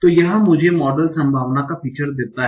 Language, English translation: Hindi, Now what will be my model probability